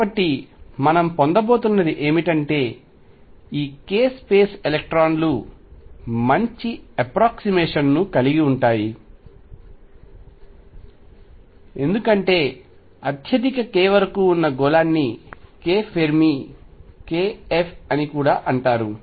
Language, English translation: Telugu, So, what we are going to have is that in this case space electrons are going to be occupied to a good approximation as sphere up to a highest k would also called k Fermi